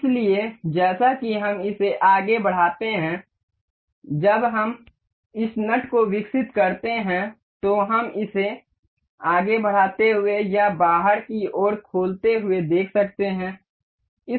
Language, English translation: Hindi, So, as we move this we as we evolve this nut we can see this moving forward or opening it outward